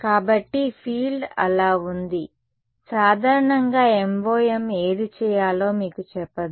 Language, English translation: Telugu, So, the field is so, MoM in general does not tell you which one to do